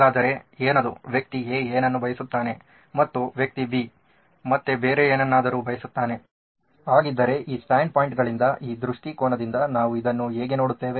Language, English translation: Kannada, So what is that person A wants something and person B wants something else, how do we look at this it from this perspective from this stand points from how do we understand both these stand points